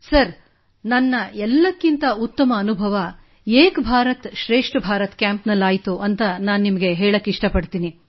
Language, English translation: Kannada, Sir, I would like to share my best experience during an 'Ek Bharat Shreshth Bharat' Camp